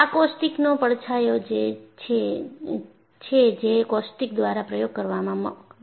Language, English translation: Gujarati, These are the caustic shadow that you get in an experiment by caustics